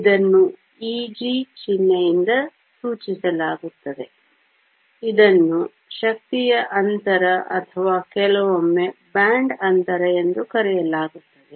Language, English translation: Kannada, It is denoted by the symbol E g, it is called the energy gap or sometimes the band gap